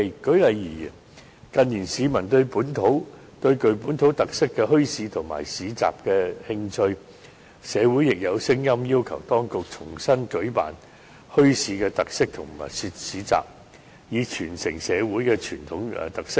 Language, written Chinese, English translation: Cantonese, 舉例而言，近年市民對具本土特色的墟市和市集感興趣，社會亦有聲音要求當局重新舉辦墟市或特色市集，以傳承社會的傳統特色。, For instance in recent years the general public have shown an interest in bazaars and markets with local flavours and there is also the view that the Government should set up more bazaars or markets with special features so as to preserve the traditional characteristics of society